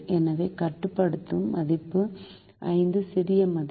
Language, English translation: Tamil, so the limiting value is five, the smaller value